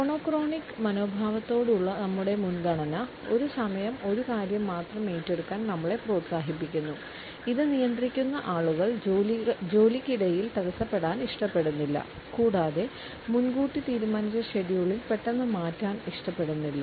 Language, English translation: Malayalam, Because our preference for the monochronic attitude encourages us to take up only one thing at a time, people who are governed by it do not like to be interrupted and also do not prefer to suddenly change the pre decided scheduling